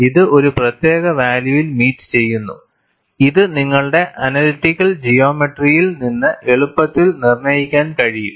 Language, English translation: Malayalam, This will meet this, at a particular value, which could be easily determined from your analytical geometry